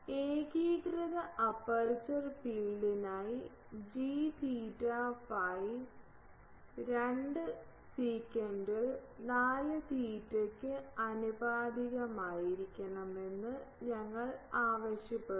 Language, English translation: Malayalam, For uniform aperture field we require that g theta phi should be proportional to sec 4 theta by 2